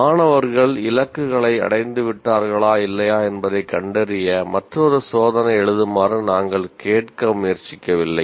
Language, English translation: Tamil, We are not trying to ask the students to write yet another test to find out whether they have attained the targets or not